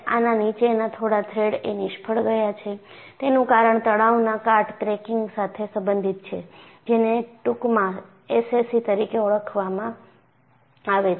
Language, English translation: Gujarati, And this has failed a few threads below, and the cause is related to stress corrosion cracking, abbreviated as SCC